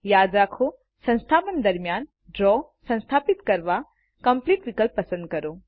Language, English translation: Gujarati, Remember, when installing, use the Complete option to install Draw